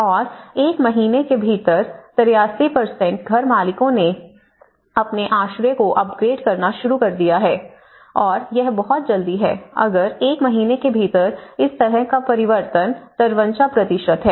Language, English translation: Hindi, And within a month 53% of the house owners have started to upgrade their shelters and this is very quick, within a month if this kind of change is 53%